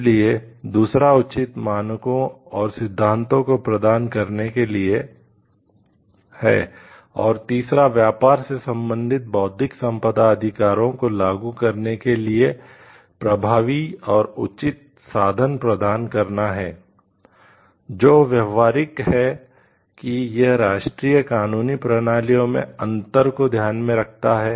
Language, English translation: Hindi, So, second is the provision for adequate standards and principles and third is provisions for effective and appropriate means for the enforcement of trade related Intellectual Property Rights which is practical in the sense, it takes into account differences in the national legal system